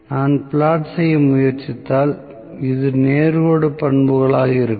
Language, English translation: Tamil, So, if I try to plot, this will be straight line characteristics